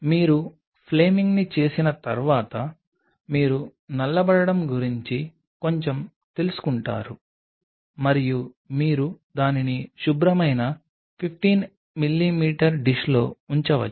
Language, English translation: Telugu, Once you do the flaming there will be a slight kind of you know blackening and then you can place it in a sterile 15 mm dish